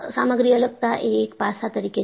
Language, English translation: Gujarati, Material separation is one of the aspects